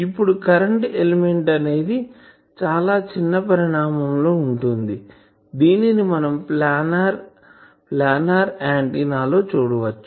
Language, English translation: Telugu, Now current element is a very small size antenna also we will see that planar antennas etc